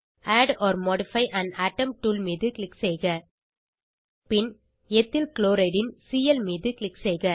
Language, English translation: Tamil, Click on Add or modify an atom tool and then click on Cl of Ethyl chloride